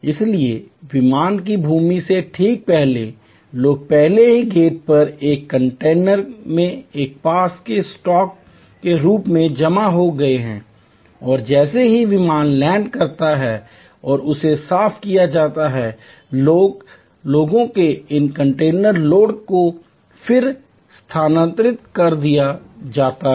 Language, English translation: Hindi, So, just at before the aircraft lands, people have been already accumulated at the gate as a sort of stock in a container and as soon as the aircraft lands and he is cleaned, these container load of people are then transferred